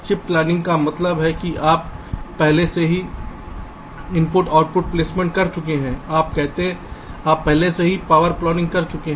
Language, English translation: Hindi, so, whatever things you are doing, well, chip planning means you have already done i o placement, you have already done power planning